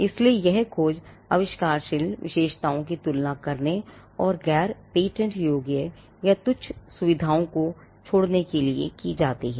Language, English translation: Hindi, So, that the search is done comparing the inventive features and leaving out the non patentable or the trivial features